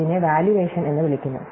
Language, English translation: Malayalam, So, this is called a valuation